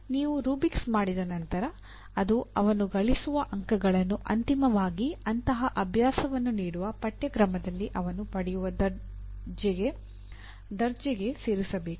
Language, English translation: Kannada, Once you have a rubric for that the marks that he gain should finally get added to the grade that he gets in that course in which such an exercise is included